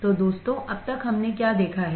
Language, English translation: Hindi, So, guys, until now what have we seen